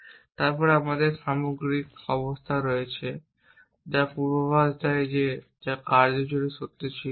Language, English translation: Bengali, And then we have overall conditions which have predicate which was being true throughout the action